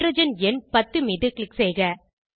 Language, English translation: Tamil, Click on hydrogen number 10